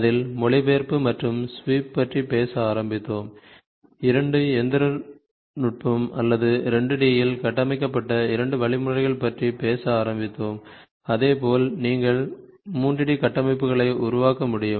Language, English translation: Tamil, In that case, we started talking about translation and sweeping, two mechanisms or two algorithms which are in built in 2 D such that you can create 3 D structures